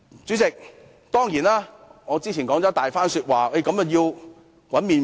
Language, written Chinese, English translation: Cantonese, 主席，我之前的長篇發言關乎如何製造"麪粉"。, President I went to great lengths just now addressing the question of how to create flour